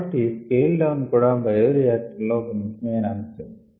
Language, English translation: Telugu, so scale down is also an important aspect in bioreactors